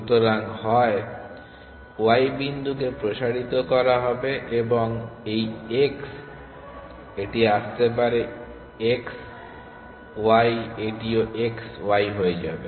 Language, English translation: Bengali, So, either point when y was expanded then this x this could come x comma y this also will become x comma y